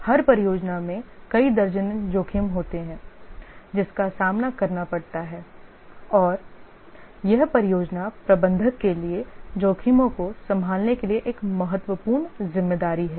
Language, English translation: Hindi, Every project has several dozens of risk that it faces and it is a important job responsibility for the project manager to handle the risks